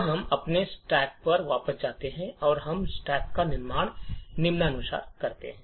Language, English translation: Hindi, So, we go back to our stack and we build a stack as follows